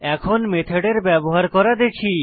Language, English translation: Bengali, Lets see how to use a method